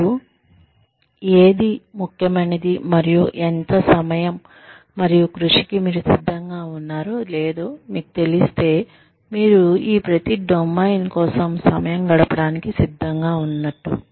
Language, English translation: Telugu, Once you know, what is important for you, and how much, and what you are willing to the amount of time and effort, you are willing to spend, on each of these domains